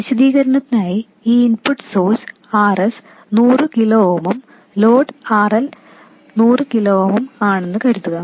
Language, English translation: Malayalam, For the sake of illustration let's assume that this input source has an RS which is 100 kilo oom and the load RL is also 100 kilo oan